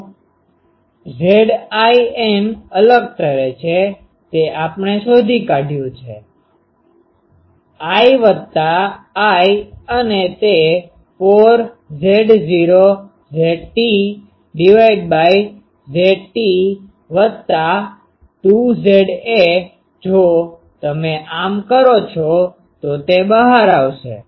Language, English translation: Gujarati, So, Z in stand out to be we have found out, I 1 plus I 2 and that is 4 Z a Z t by Z t plus 2 Z a a, if you do this just it will come out